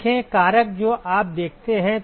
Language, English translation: Hindi, View factor you see